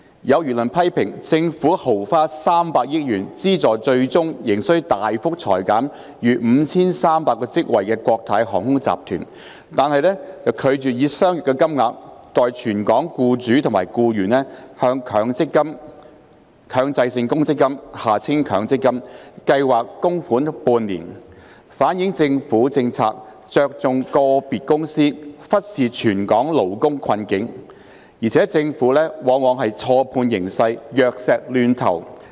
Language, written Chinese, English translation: Cantonese, 有輿論批評，政府豪花300億元資助最終仍需大幅裁減逾5300個職位的國泰航空集團，但卻拒絕以相若金額，代全港僱主及僱員向強制性公積金計劃供款半年，反映政府政策着重個別公司、忽視全港勞工困境，而且政府往往錯判形勢、藥石亂投。, There have been public opinions criticizing the Government for spending 30 billion lavishly on subsidizing the Cathay Group which still needs to make a substantial cut of over 5 300 positions eventually but refusing to spend a similar amount on making contributions to the Mandatory Provident Fund MPF schemes on behalf of the employers and employees in Hong Kong for half a year